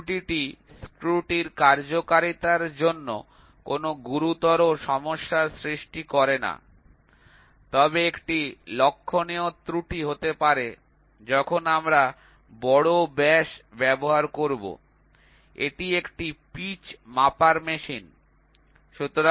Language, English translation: Bengali, This error does not pose a serious problem for the functioning of a screw, but may result in a noticeable error, when we will be using large diameters; this is a pitch measuring machine